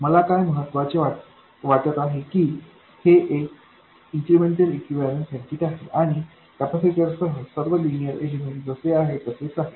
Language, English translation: Marathi, What I want to emphasize is that this is the small signal incremental equivalent circuit and all linear elements including capacitors remain exactly as they are